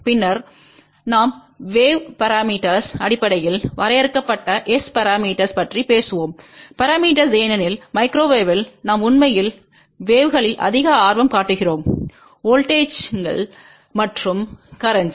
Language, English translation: Tamil, And then we will talk about S parameters which are defined in terms of wave parameters because at microwave we actually are more interested in the waves then just in voltages and currents